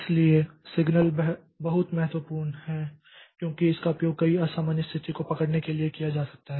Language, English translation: Hindi, So, signals are very important because it can be used to capture many abnormal situations